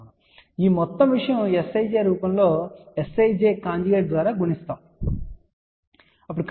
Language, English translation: Telugu, And this whole thing can also be written in the form of S ij multiplied by S ij conjugate